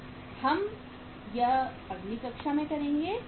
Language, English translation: Hindi, That we will do in the next class